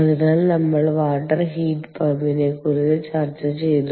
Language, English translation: Malayalam, so therefore we we have discussed water water heat pump